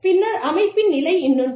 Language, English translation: Tamil, Then, the level of organization, is another one